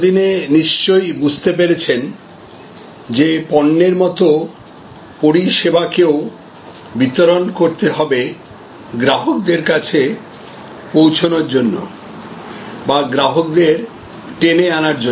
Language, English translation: Bengali, As you would have well understood by now that just like goods, services also need to be distributed to reach out to the customers or to bring customers in